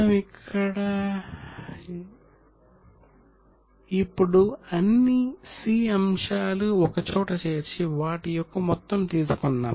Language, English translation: Telugu, So, here now all C items have been taken together and we have taken one total of all C items